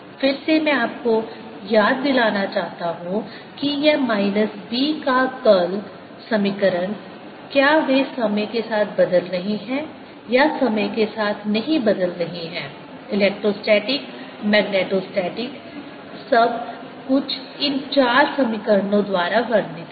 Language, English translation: Hindi, again, i want to remind you this minus sign, the curl of b equation, whether they are changing with the time, not changing with time, electrostatic, magnetostatic, everything is described by these four equations